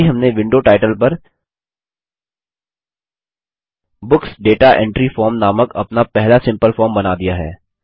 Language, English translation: Hindi, We have now created our first simple form that says Books Data Entry Form on the window title